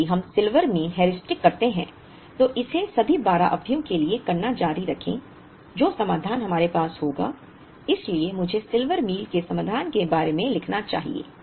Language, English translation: Hindi, Now, if we do the Silver Meal Heuristic, continue to do it for all the 12 periods, the solution that we will have is, so let me write down the solutions for the Silver Meal